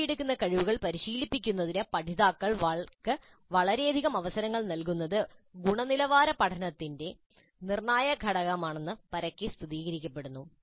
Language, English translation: Malayalam, It's widely established that providing learners with a very large number of opportunities to practice the competencies being acquired is crucial element of quality learning